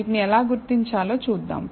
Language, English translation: Telugu, So, let us see how to identify these